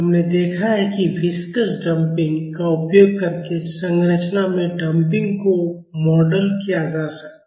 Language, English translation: Hindi, We have seen that the Damping in the structure can be modeled using Viscous Damping